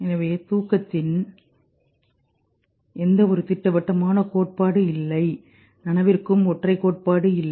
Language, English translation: Tamil, So no single theory of sleep like no single theory of consciousness